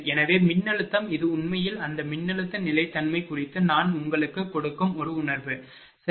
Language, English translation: Tamil, So, voltage this is actually some feeling I give you regarding that voltage stability, right